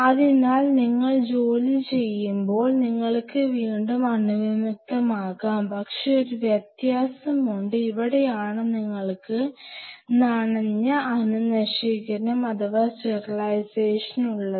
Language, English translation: Malayalam, So, while you are working you can re sterilize, but there is a difference this is where you have a wet sterilization